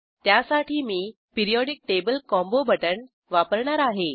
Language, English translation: Marathi, For this I will use Periodic table combo button